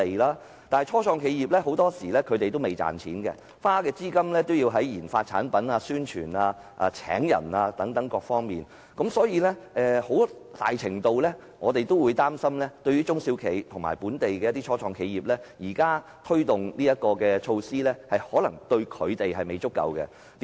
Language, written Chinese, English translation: Cantonese, 然而，初創企業很多時候未有盈利，在研發產品、宣傳、招聘員工等各方面亦要花費資金，所以，對於中小企及一些本地初創企業，我們擔心現時推動的措施未必足夠。, However start - ups often do not have any profits and they have to spend money on RD of products promotion and staff recruitment . Therefore we are worried that the current measures may not necessarily be adequate to help SMEs and some local start - ups